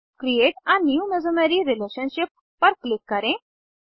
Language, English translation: Hindi, Click on Create a new mesomery relationship